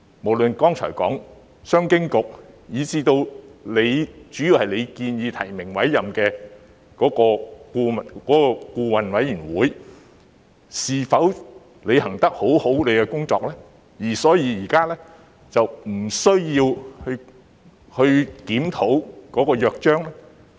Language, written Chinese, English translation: Cantonese, 無論是剛才提到的商經局，以至成員主要是由局長提名及委任的顧委會，是否均已妥善履行其職責，以致現時並無需要檢討《約章》？, Have CEDB as mentioned earlier and BoA which mainly consists of members nominated and appointed by the Secretary properly discharged their duties and responsibilities so that it is not necessary at the moment to review the Charter?